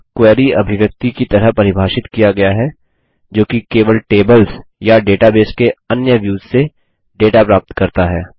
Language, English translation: Hindi, It is defined as a Query Expression, which is simply retrieval of data from tables or other views from the database